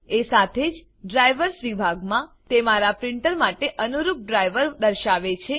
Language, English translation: Gujarati, Also in the Drivers section, it shows the driver suitable for my printer